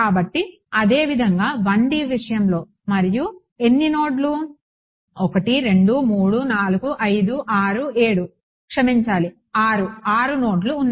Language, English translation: Telugu, So, similarly in the case of 1 D and how many nodes are a 1 2 3 4 5 6 7 sorry 6; 6 nodes are there